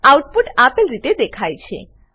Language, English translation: Gujarati, The output is as shown